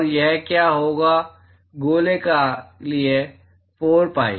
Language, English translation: Hindi, And what will be that is for sphere 4 pi